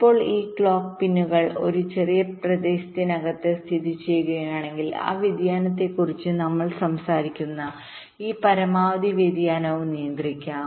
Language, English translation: Malayalam, now, if this clock pins are constrained to be located within a small region, then this maximum variation that we are talking about, that variation can also be controlled